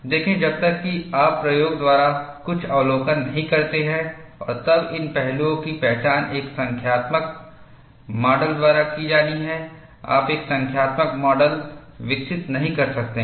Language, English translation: Hindi, See, unless you make certain observations by experiment and then identify, these aspects have to be modeled by a numerical model; you cannot develop a numerical model